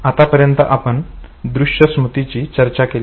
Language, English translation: Marathi, Until now we have talked about iconic memory